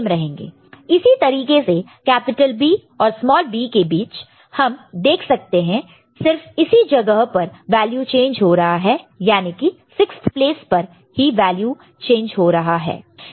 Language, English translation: Hindi, Similarly, between capital B and small b we see that only this place the value is changed 6th place, right, 7 bit this is the place it is changing